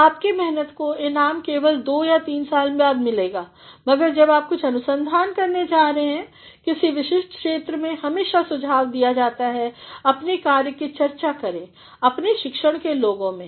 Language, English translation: Hindi, And, your labour is going to be rewarded only after through 2 or 3 years, but when you are doing some amount of research in a particular field it is always advisable to discuss your work with people of your discipline